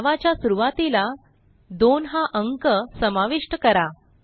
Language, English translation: Marathi, Add a number 2 before the name